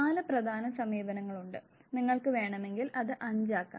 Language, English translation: Malayalam, Four major approaches if you wish you can make it five